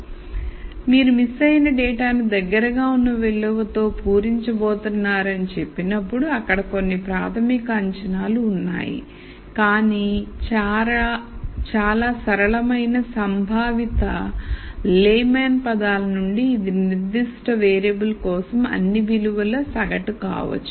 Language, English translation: Telugu, So, there are some fundamental assumptions that you are making when you say that you are going to fill the missing data with most likely value, but from a very simple conceptual layman terms this could just be the average of all the values for that particular variable